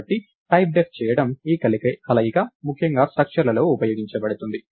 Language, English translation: Telugu, So, this combination of doing typedef is particularly useful in structures